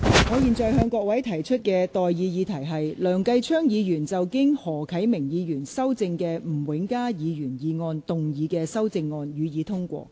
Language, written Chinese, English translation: Cantonese, 我現在向各位提出的待議議題是：梁繼昌議員就經何啟明議員修正的吳永嘉議員議案動議的修正案，予以通過。, I now propose the question to you and that is That Mr Kenneth LEUNGs amendment to Mr Jimmy NGs motion as amended by Mr HO Kai - ming be passed